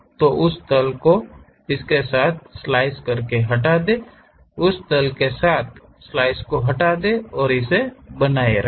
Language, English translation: Hindi, So, slice along that plane remove that, slice along that plane remove that and retain this one